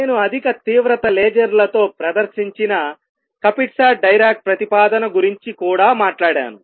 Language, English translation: Telugu, And I have also talked about Kapitsa Dirac proposal which has been performed with high intensity lasers